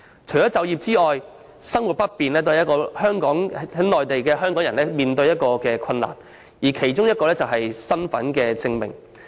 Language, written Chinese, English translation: Cantonese, 除就業外，生活不便亦是現時在內地港人所面對的困難，其中一個問題是身份證明。, Apart from employment arrangements inconvenience in daily life is also another difficulty facing Hong Kong people living on the Mainland and proof of identity is one of the problems